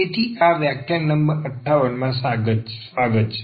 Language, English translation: Gujarati, So, welcome back and this is lecture number 58